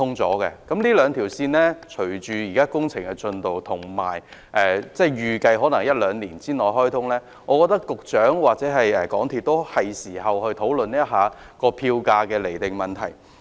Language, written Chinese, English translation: Cantonese, 隨着這兩條路線的工程推進，以及預計可於一兩年內開通，我認為局長或港鐵公司是時候討論釐定票價的問題。, With the progress of these two lines and their expected commissioning within one to two years I think it is time for the Secretary or MTRCL to discuss the issue of fare determination